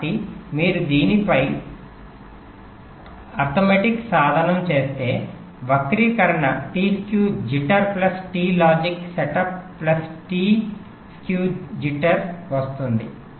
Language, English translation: Telugu, so if you do a simple, if you do a simple ah means arithmetic on this the expression come to t skew jitter plus t logic setup plus t skew jitter